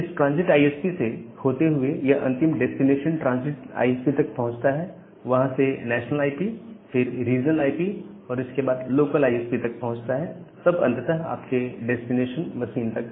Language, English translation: Hindi, Now, via this transit ISP it reaches to the final destination transit ISP, from there to the national ISP again to the regional ISP to the local ISP and finally, to your destination machine